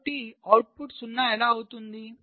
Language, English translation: Telugu, so how the output can become zero